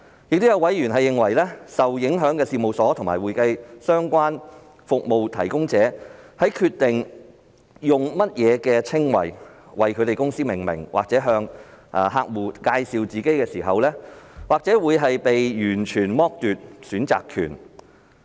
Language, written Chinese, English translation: Cantonese, 另外，有委員認為，受影響的事務所及會計相關服務提供者在決定以何稱謂為其公司命名或向客戶介紹自己時，或會被完全剝奪選擇權。, Besides a member opined that the affected firms and accounting - related service providers may be deprived of any choice of descriptions at all in naming their companies or introducing themselves to clients